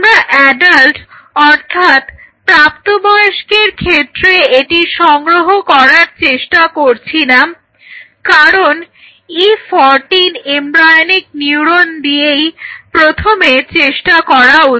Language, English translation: Bengali, So, we are not trying to do it on adults because this was the very first cut one has to try it out embryonic neuron E 14